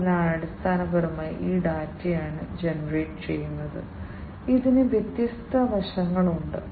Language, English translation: Malayalam, So, it is basically this data that is generated, it is it has different facets